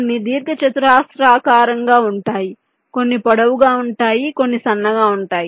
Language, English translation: Telugu, some are rectangular, some are long, some are thin